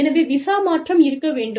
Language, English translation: Tamil, So, the visa change, has to be there